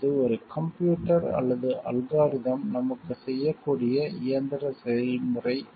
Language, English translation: Tamil, And facts, this is not a mechanical process that a computer and algorithm might do for us